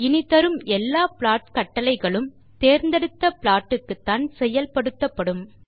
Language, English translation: Tamil, All the plot commands we run hereafter are applied on the selected plot